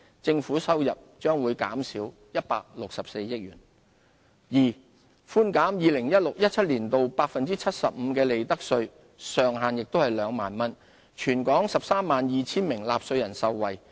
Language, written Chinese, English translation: Cantonese, 政府收入將減少164億元；二寬減 2016-2017 年度 75% 的利得稅，上限為2萬元，全港132 000名納稅人受惠。, This proposal will benefit 1.84 million taxpayers and reduce government revenue by 16.4 billion; b reducing profits tax for 2016 - 2017 by 75 % subject to a ceiling of 20,000